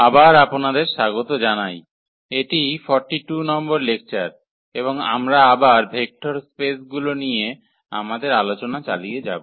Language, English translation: Bengali, So, welcome back and this is lecture number 42 and we will continue our discussion on Vector Spaces again